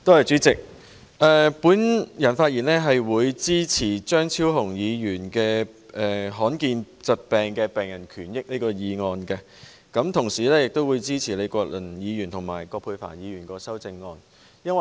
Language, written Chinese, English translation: Cantonese, 主席，我發言支持張超雄議員"立法保障罕見疾病的病人權益"的議案，亦支持李國麟議員和葛珮帆議員的修正案。, President I speak in support of Dr Fernando CHEUNGs motion Enacting legislation to protect the rights and interests of rare disease patients and the amendments proposed by Prof Joseph LEE and Dr Elizabeth QUAT